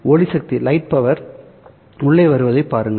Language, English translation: Tamil, So you have the light coming in